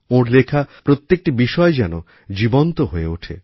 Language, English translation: Bengali, Each & every element of his writings comes alive